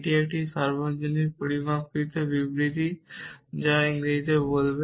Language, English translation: Bengali, It is a universally quantified statement how would read it in English